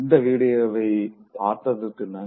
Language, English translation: Tamil, Thank you very much for watching this video